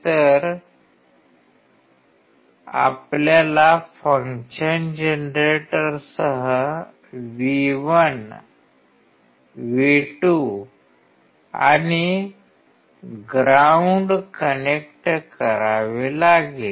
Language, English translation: Marathi, So, you have to connect V1, V2 and ground with the function generator